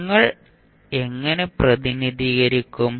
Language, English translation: Malayalam, How will you represent